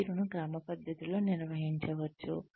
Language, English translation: Telugu, The performance can be systematically managed